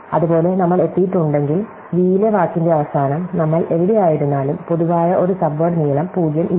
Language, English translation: Malayalam, Likewise, if we have reach the end of the word in v, wherever we are in u, there is no common subword length is 0